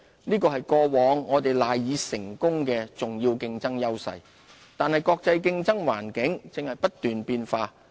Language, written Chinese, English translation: Cantonese, 這是過往我們賴以成功的重要競爭優勢，但國際競爭環境正不斷變化。, These were the key competitive advantages underpinning our success in the past . However the global competitive environment is fast - changing